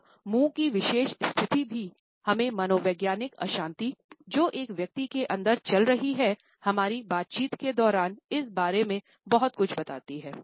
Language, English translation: Hindi, This particular position of mouth also tells us a lot about the psychological turbulence which goes on inside a person during our conversations